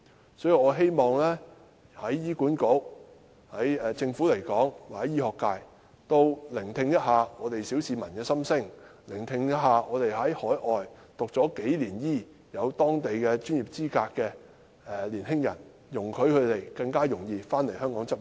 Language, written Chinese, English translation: Cantonese, 因此，我希望醫管局、政府和醫學界也可聆聽小市民的心聲，聆聽在海外讀醫數年取得當地專業資格的年青人的心聲，容許他們更容易回港執業。, Hence I hope HA the Government and the medical sector will heed the opinions of the general public as well as the aspiration of young people who have studied medicine overseas for several years and obtained qualification for local practice and make their practice in Hong Kong easier